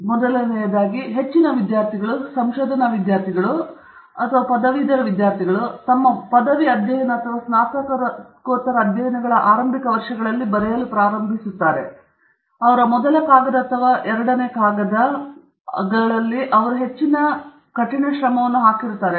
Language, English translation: Kannada, So first of all, I must step back a bit and tell you that most students most research students if you ask them, most graduate students, who are writing are in the initial years of their graduate studies or post graduate studies, who are writing their first paper or second paper, most of them will tell you that it is a difficult process